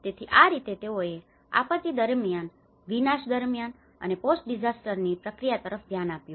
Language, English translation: Gujarati, So, this is how they looked at the process of before disaster, during disaster and the post disaster